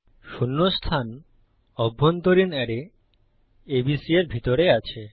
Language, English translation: Bengali, Position zero inside the internal array ABC